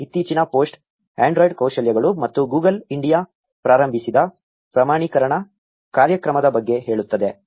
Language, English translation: Kannada, The first most recent post says something about android skills and certification programme launched by Google India